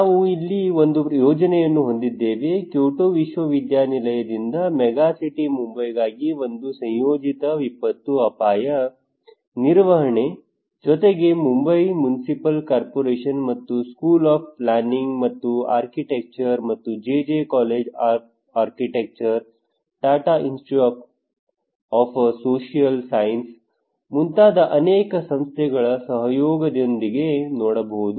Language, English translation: Kannada, We had a project there, one integrated disaster risk management for megacity Mumbai by Kyoto University, along with in collaboration with the Municipal Corporation of here in Mumbai and school of planning and architecture and other many Institutes like JJ College of Architecture, Tata Institute of Social Science